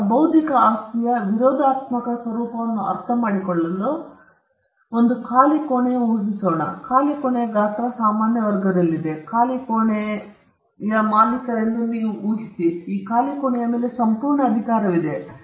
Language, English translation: Kannada, Now, to understand non rivalrous nature of intellectual property, let us imagine empty room; an empty which is in the size of a normal class room; you just imagine an empty room; and imagine that you own this empty room; you have complete power over this empty room